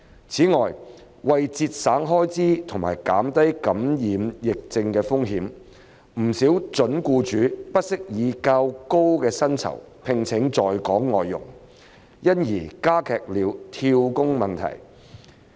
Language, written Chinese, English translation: Cantonese, 此外，為節省開支和減低感染疫症的風險，不少準僱主不惜以較高薪酬聘請在港外傭，因而加劇了跳工問題。, Moreover for the purpose of cutting expenses and reducing the risk of being infected with epidemic diseases quite a number of prospective employers do not hesitate to pay higher salaries for employing those FDHs already in Hong Kong thereby aggravating the situation of job - hopping